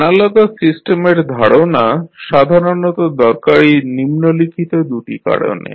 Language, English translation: Bengali, So, the concept of analogous system is useful in practice because of the following 2 reasons